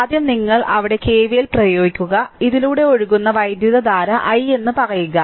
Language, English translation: Malayalam, So, first you apply your K V L here say current flowing through this is i